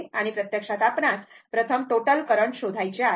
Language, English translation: Marathi, And this is actually first you find out the total current